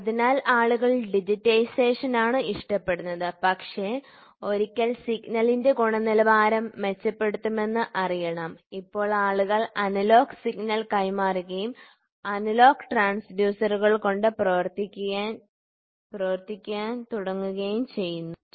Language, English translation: Malayalam, So, people prefer digitisation, but once the quality of the of the signal has to know improve; now people transfer analog signal and start working with the analogous transducer, ok